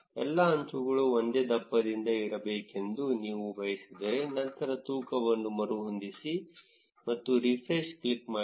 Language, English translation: Kannada, If you want all the edges to be of the same thickness, then click on rescale weight and click on refresh